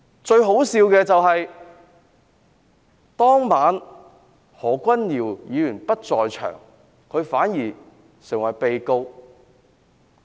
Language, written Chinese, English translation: Cantonese, 最可笑的是何君堯議員當晚不在場，但反而成為被告。, It was most ridiculous that Dr Junius HO who was not present at the scene that night became the accused